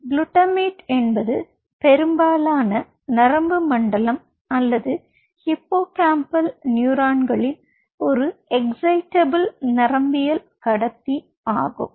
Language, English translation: Tamil, glutamate is an excitatory neurotransmitters and most of the nervous system or the hippocampal neurons